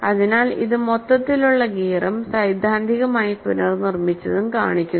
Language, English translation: Malayalam, So, this shows the overall gear and the, theoretically reconstructed